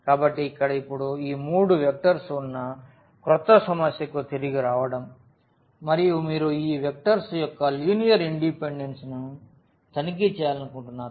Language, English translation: Telugu, So, here now getting back to this one the new problem we have these three vectors and you want to check the linear independence of these vectors